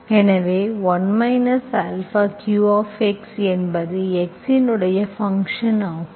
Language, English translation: Tamil, This is only a function of v and x